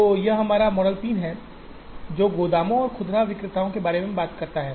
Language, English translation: Hindi, So, that is our model 3, which talks about warehouses and retailers